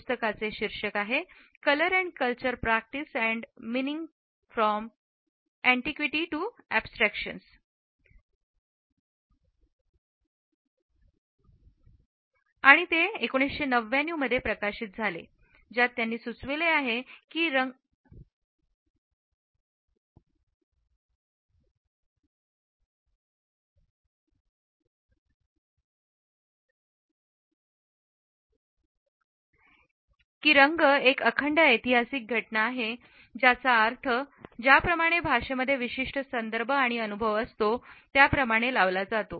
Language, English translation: Marathi, The title of the book is Color and Culture Practice and Meaning from Antiquity to Abstraction published in 1999, wherein he has suggested that color is a contingent historical occurrence whose meaning like language lies in the particular context in which it is experienced and interpreted